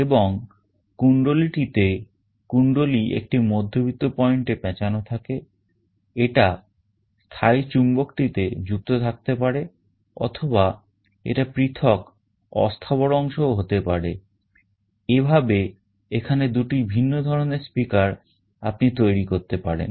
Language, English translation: Bengali, And in the coil, coil is wound around a middle point this can be connected or attached to the permanent magnet, or this can be a separate movable part also, there can in two different kind of speakers you can manufacture